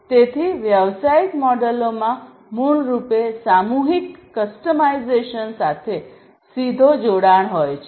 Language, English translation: Gujarati, So, business models basically have direct linkage with the mass customization